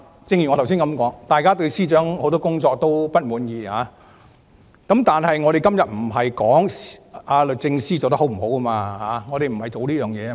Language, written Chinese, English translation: Cantonese, 正如我剛才所說，大家對司長很多工作不滿意，但我們今天不是討論律政司司長工作是否稱職。, As I have said though we are dissatisfied with the performance of the Secretary for Justice today we are not discussing whether the Secretary for Justice is competent or not